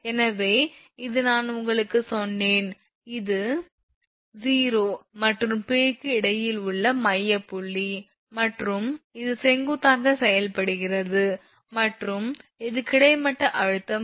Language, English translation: Tamil, So, this I told you the Ws this is the midpoint between O and P and it your acting vertically and this is the horizontal tension this is H